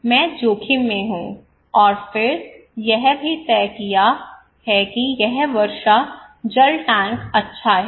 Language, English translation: Hindi, I am at risk somebody decided and then also decided that this rainwater tank is good